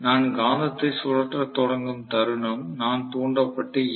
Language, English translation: Tamil, The moment I start rotating the magnet am going to get induced DMF